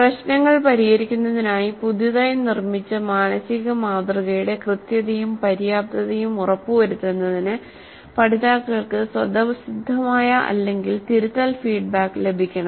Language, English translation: Malayalam, Learners should receive either intrinsic or corrective feedback to ensure correctness and adequacy of their newly constructed mental model for solving problems